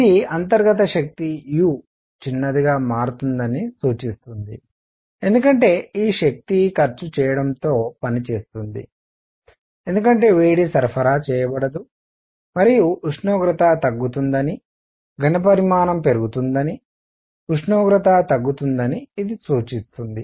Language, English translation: Telugu, This implies internal energy u becomes a smaller because the work is done at the cost of this energy because there is no heat being supplied and this implies the temperature goes down volume is increasing, temperature is going down